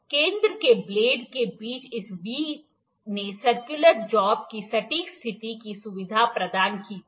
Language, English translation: Hindi, This V between the blades of the center of the center had facilitated accurate positioning of the circular job